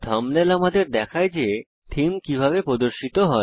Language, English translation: Bengali, The thumbnails show you how the themes would appear